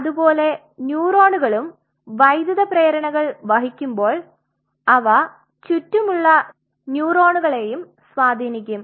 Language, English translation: Malayalam, So, similarly when the neurons are carrying those current impulses, they may influence the surrounding neuron which is by its side